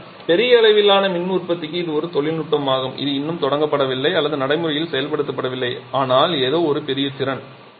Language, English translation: Tamil, But for large scale power generation this is a technology that is yet to be commissioned on yet to be implemented in practice but something with a huge potential